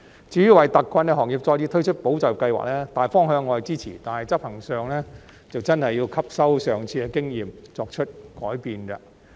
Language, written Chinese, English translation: Cantonese, 至於為特困行業再次推出保就業計劃，大方向我是支持的，但執行上真的要吸收上次的經驗，作出改變。, As for the launching of another round of programme for safeguarding jobs for hard - hit industries I support the general direction but the authorities should learn from the experience of the previous rounds and make changes